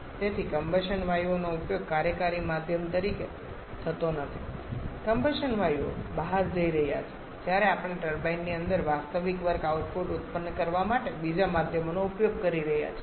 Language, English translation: Gujarati, So, the combustion gaseous are not used as the working medium the combustion gases are going out whereas we are using a second medium to produce the real work output inside the turbine